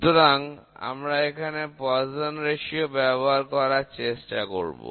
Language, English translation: Bengali, So, we would like to convert this into Poisson’s ratio